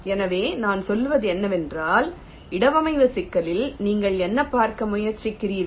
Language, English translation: Tamil, so what i say is that you see, ah, in the placement problem, what are you trying to do